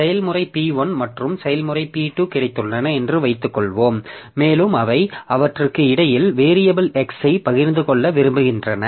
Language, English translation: Tamil, So, suppose I have got process P1 and process P2 and they want to share the variable X between them